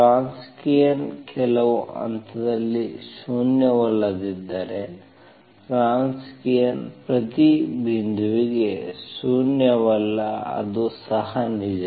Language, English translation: Kannada, So if the Wronskian is at some point is non zero, then Wronskian is non zero for every point, that is also true, okay